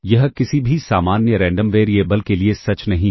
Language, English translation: Hindi, This is not true for any general random variable